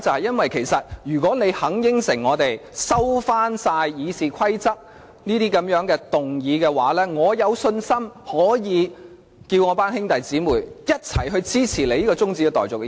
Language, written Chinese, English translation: Cantonese, 因為，如果他答應我們，收回所有修改《議事規則》的議案，我有信心可以請我的兄弟姊妹一起支持此項中止待續議案。, The reason is that if he promises us to withdraw all amendments to the RoP I am sure I can ask my brothers and sisters to jointly support this adjournment motion